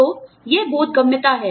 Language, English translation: Hindi, So, that is the comprehensibility